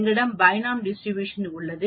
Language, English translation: Tamil, Here we have the Binomial Distribution